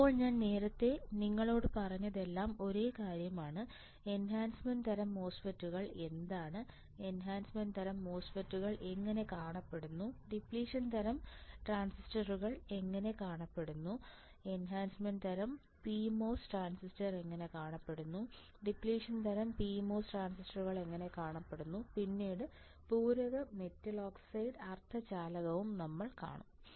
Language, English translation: Malayalam, Now, whatever I have told you earlier is same thing, enhancement type transistors then see how the enhancement type transistors looks like, how the depletion type transistors look like, how the enhancement type p mos transistor looks like, how the depletion type p mos transistor looks like and then we will also see the complementary metal oxide semiconductor